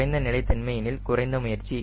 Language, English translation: Tamil, naturally less stable means less effort